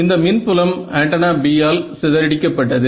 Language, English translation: Tamil, So, the field scattered by antenna B right